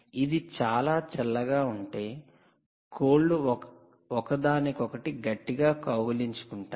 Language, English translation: Telugu, if it is too cold, the chicken are hurtling uh themselves together